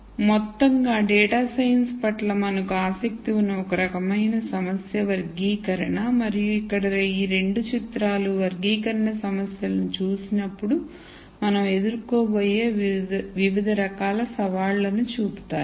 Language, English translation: Telugu, So, in summary the one type of problem that we are interested in data science is classification and these 2 pictures here show the different types of challenges that we are going to face when we look at classification problems